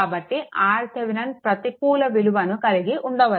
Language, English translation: Telugu, So, so R Thevenin may have a negative value